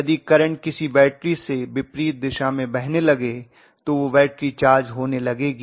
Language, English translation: Hindi, If the current starts flowing in the opposite direction if there is a battery, that battery is going to get charged right